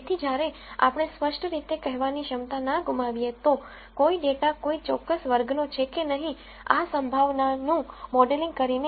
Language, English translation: Gujarati, So, while we do not lose the ability to categorically say, if a data belongs to a particular class or not by modelling this probability